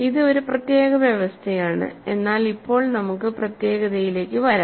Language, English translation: Malayalam, So, this is a special condition, but now let us come to uniqueness